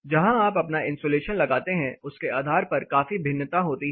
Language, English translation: Hindi, There is a considerable variation depending on where you put your insulation